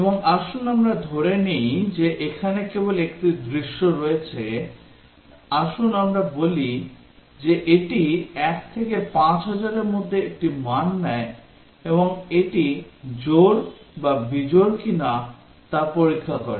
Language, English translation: Bengali, And let us assume that there is only one scenario here; let us say it is just takes a value between; 1 to 5000 and checks whether it is even or odd